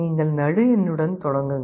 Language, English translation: Tamil, You start with the middle